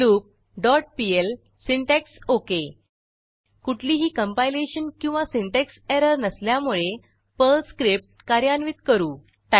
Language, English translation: Marathi, loop dot pl syntax OK As there are no compilation or syntax errors, let us execute the Perl script